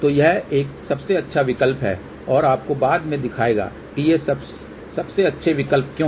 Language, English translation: Hindi, So, this is one of the best option and will show you later on why these are the best option